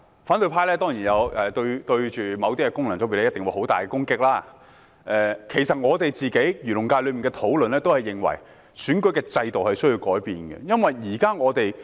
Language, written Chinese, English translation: Cantonese, 反對派對某些功能界別當然作出很大的攻擊，其實在我代表的漁農界中，我們也認為須改變現有的選舉制度。, The opposition camp has of course vigorously attacked certain FCs . Actually in the Agriculture and Fisheries FC which I represent we also consider it necessary to make changes to the existing electoral system